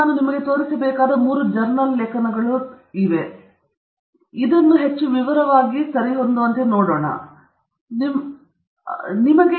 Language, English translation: Kannada, So, these three that I am going to show you here are journal articles okay; these are journal articles; this is what we are going to look at in greater detail okay